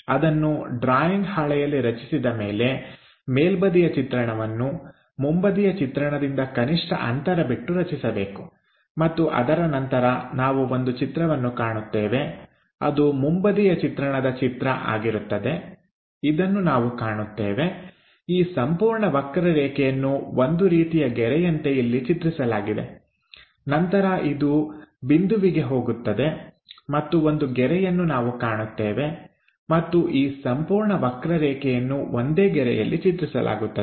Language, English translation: Kannada, Front view after constructing it on the drawing sheet with minimum gap maintaining, top view one has to construct and after that we will see the picture the front view picture this one we will see, this entire curve projected like a line then again it goes to that point again we will see a line and this entire curve projected onto one single line